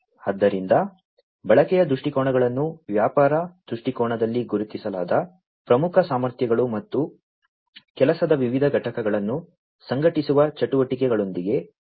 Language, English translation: Kannada, So, usage viewpoints are related with the key capabilities that are identified in the business viewpoint and the activities that coordinate the different units of work